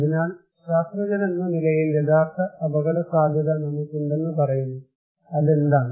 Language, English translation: Malayalam, So, actual risk we as scientists saying that we there is actually an actual risk, what is that